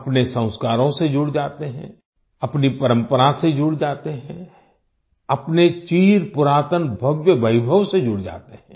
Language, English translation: Hindi, We get connected with our Sanskars, we get connected with our tradition, we get connected with our ancient splendor